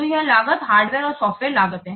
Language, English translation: Hindi, So those costs, this is the hardware and software cost